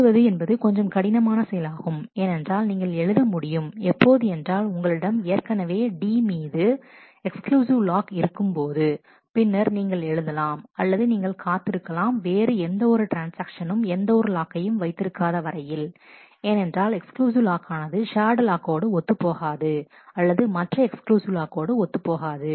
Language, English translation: Tamil, Write is little bit more complex because to be able to write either, you already have an exclusive lock on D, then you write or you may have to wait till no other transaction has any log because, exclusive lock is not compatible with shared lock or with other exclusive lock